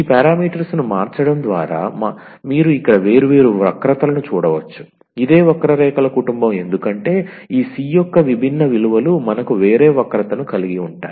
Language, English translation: Telugu, So, changing these parameters you will get different different curves here, that is what it is a family of the curves because different values of this c’s we have a different curve